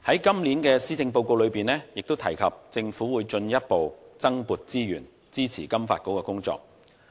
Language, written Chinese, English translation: Cantonese, 今年的施政報告提及政府會進一步增撥資源，支持金發局的工作。, It is mentioned in the Policy Address this year that the Government will allocate further resources to support the work of FSDC